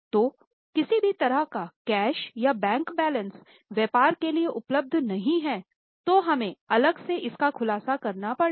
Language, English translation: Hindi, So, any such cash or bank balances not available for business will be separately disclosed